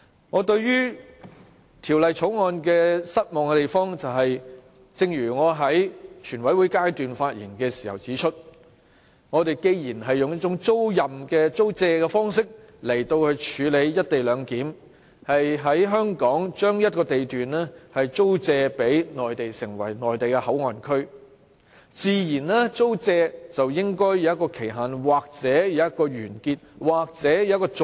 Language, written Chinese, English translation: Cantonese, 我對《條例草案》感到失望的地方，正如我在全委會階段發言時指出，我們既然用一種"租借"方式來處理"一地兩檢"，將香港一個地段租借予內地作為內地口岸區，那麼，自然應該訂有租借期限或者約滿或續約安排。, This is the one thing about the Bill that I find disappointing as I pointed out during the Committee stage . The co - location arrangement is to be based on leasing a site in Hong Kong to the Mainland for setting up a Mainland Port Area so it is only natural to specify the leasing period the date of lease expiry or the lease renewal arrangements